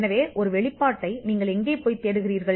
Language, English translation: Tamil, So, where do you look for a disclosure